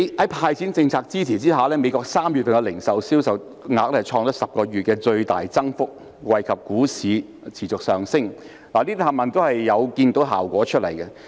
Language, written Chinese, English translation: Cantonese, 在"派錢"政策支持之下，美國3月的零售銷售額創10個月的最大增幅，惠及股市持續上升，這些全部也是看到效果的。, Under the support of the cash handout policy the retail sales of US in March recorded the greatest increase for 10 months bringing about the stock market rally . These are all the results that can be seen